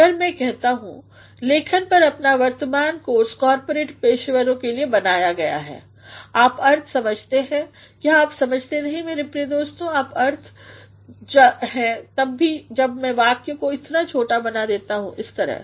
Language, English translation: Hindi, If I say, ‘’the present course on writing is designed for corporate professionals’, you understand the meaning, do not you understand my dear friends you understand the meaning even when I make a sentence as short as anything like this